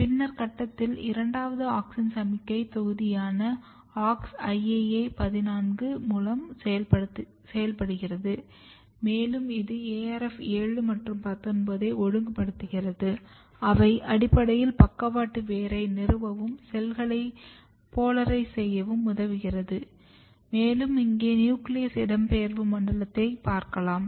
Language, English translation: Tamil, Then in the later stage this is second auxin signalling module where auxin is working through Aux/IAA 14 and it is regulating ARF 7 and 19 and they are basically helping in the lateral root founder cell polarization, here is the nuclear migration zone you can clearly see